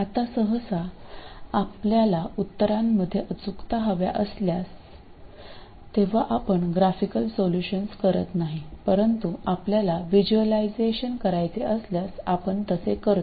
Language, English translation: Marathi, Now usually you don't do graphical solutions when you want accuracy in the solution but you do it when you want to visualize the behavior